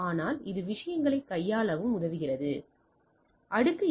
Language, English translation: Tamil, But we see that it also helps in handling the things